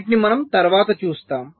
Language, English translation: Telugu, ok, so we shall see this subsequently